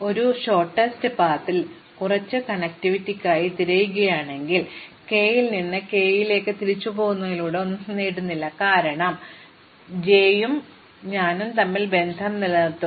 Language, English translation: Malayalam, Just like in a shortest path, if I am just looking for some connectivity, then I do not gain anything by going back from k to k, because I can this remove that i and j will remain connected